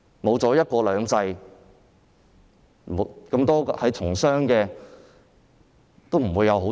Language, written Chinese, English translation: Cantonese, 沒有"一國兩制"，商人也不會有好處。, If there is no one country two systems businessmen can reap no benefits either